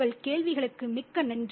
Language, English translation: Tamil, Thank you so much for your questions